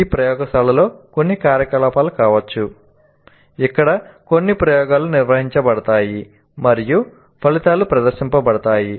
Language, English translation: Telugu, It can be some activity in the laboratory where certain experiments are conducted and the results are demonstrated